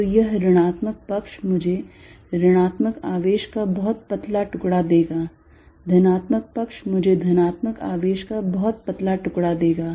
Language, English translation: Hindi, So, that this negative side will give me a very thin slice of negative charge, positive side will give me a very thin slice of positive charge